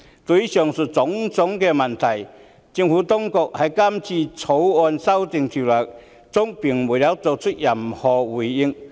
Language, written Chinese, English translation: Cantonese, 對於上述種種問題，政府當局在《條例草案》中並沒有作出任何回應。, To the various aforesaid problems the Administration has not given any response in the Bill